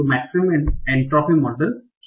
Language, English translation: Hindi, So what is a maximum entropy model